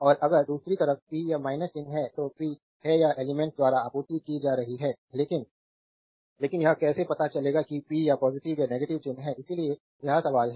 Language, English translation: Hindi, And if on the other hand the power has a minus sign right that is power is being supplied by the element so, but, but how do we know when the power has a positive or a negative sign right; so, this is the question